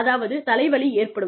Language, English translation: Tamil, It could give me, headaches